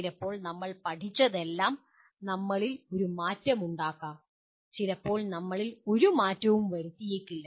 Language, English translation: Malayalam, And sometimes whatever we learned can make a difference to us, sometimes may not make a difference to us